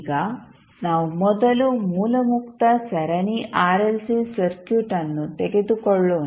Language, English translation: Kannada, Now, let us first take the case of source free series RLC circuit